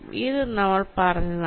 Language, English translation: Malayalam, this also i have said